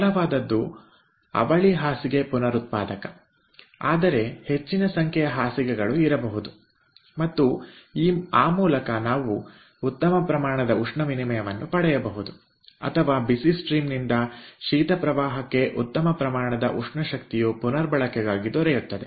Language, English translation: Kannada, the simplest is the twin bed regenerator, but there could be more number of beds and by that we can get a good amount of heat exchange or good amount of thermal energy recovery from the hot stream to the cold stream